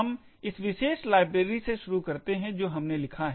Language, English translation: Hindi, Let us start with this particular library that we have written